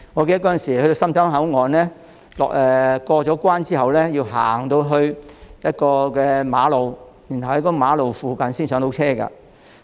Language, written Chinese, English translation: Cantonese, 記得當年前往深圳灣口岸時，在過關後須步行經過一段馬路，才可在馬路附近的位置上車。, I remember that when travelling to the Mainland via the Shenzhen Bay Port years ago passengers leaving the passenger terminal building had to walk on a road for a distance before they can get on a coach at roadside